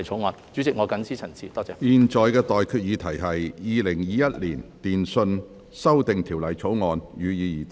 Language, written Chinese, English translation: Cantonese, 我現在向各位提出的待決議題是：《2021年電訊條例草案》，予以二讀。, I now put the question to you and that is That the Telecommunications Amendment Bill 2021 be read the Second time